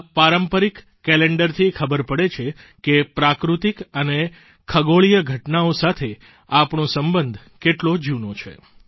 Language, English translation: Gujarati, This traditional calendar depicts our bonding with natural and astronomical events